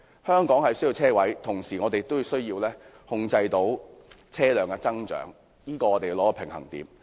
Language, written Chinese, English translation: Cantonese, 香港需要車位，同時也需要控制車輛的增長，我們要取得平衡。, While we need parking spaces in Hong Kong we also have to control the increase in vehicles; and a balance should be struck